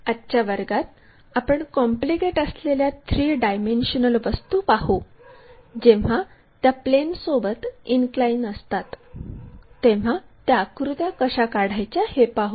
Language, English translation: Marathi, In today's class, we will look at more complicated three dimensional objects when they are inclined towards the planes, how to draw those pictures